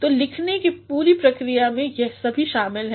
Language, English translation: Hindi, So, the entire writing process includes all these things